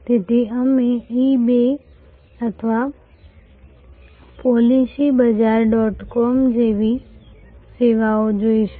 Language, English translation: Gujarati, So, we will see services like eBay or policybazaar dot com